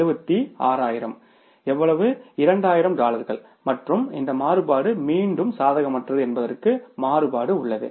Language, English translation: Tamil, 2,000 dollars and this variance is again unfavorable